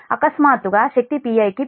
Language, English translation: Telugu, that suddenly power has increased to p i